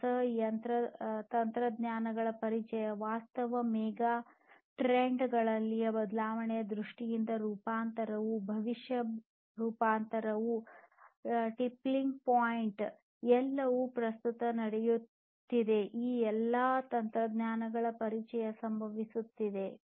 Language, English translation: Kannada, Introduction of newer technologies, transformation overall, current transformation in terms of changes in the megatrends that are happening, future transformation the tippling points, everything are happening at present with the introduction of all of these technologies